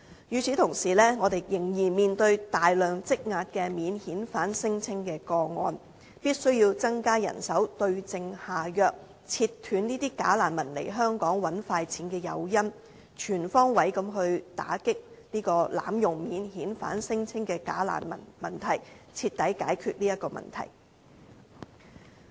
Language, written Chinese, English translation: Cantonese, 與此同時，我們仍然面對大量積壓的免遣返聲稱個案，必須增加人手，對症下藥，切斷這些假難民來港賺快錢的誘因，全方位打擊濫用免遣返聲稱的假難民問題，徹底解決這個問題。, Meanwhile with an accumulation of a substantial number of pending non - refoulement claims we must increase manpower and deal with the root cause in order to undermine the incentives for these bogus refugees to come and earn quick money in Hong Kong and to fully resolve the problem by comprehensively confronting those bogus refugees who abuse the non - refoulement protection system